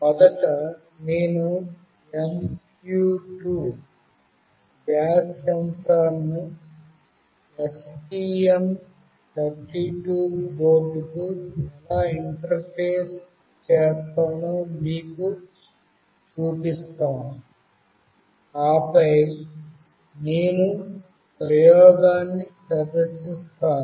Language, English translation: Telugu, Firstly, I will show you how I will be interfacing the MQ2 gas sensor to the STM32 board, and then I will demonstrate the experiment